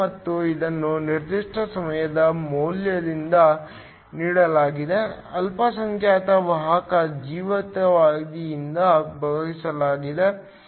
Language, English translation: Kannada, And this is given by the value at a particular time t divided by the minority carrier lifetime τ